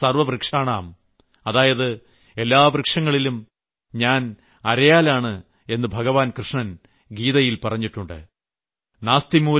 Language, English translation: Malayalam, In the Gita, Bhagwan Shri Krishna says, 'ashwatth sarvvrikshanam' which means amongst all trees, I am the Peepal Tree